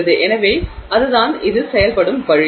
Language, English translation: Tamil, So that is the way in which it works